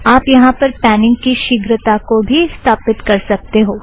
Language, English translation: Hindi, You can also set the speed of panning here